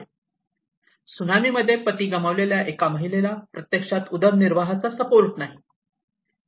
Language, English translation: Marathi, A lady who lost her husband in the tsunami, she actually does not have any livelihood support